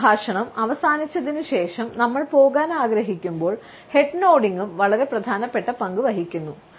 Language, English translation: Malayalam, Head nodding also plays a very important role, when we want to take leave after the dialogue is over